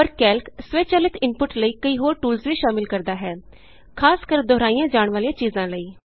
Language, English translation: Punjabi, But Calc also includes several other tools for automating input, especially of repetitive material